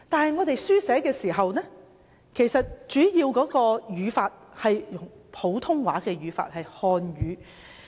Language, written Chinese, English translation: Cantonese, 不過，大家書寫時其實主要跟隨普通話的語法。, Yet when we write we in fact mainly follow the Mandarin grammar